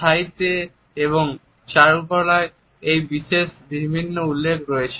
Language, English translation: Bengali, In literature and in arts there have been in numerous references to it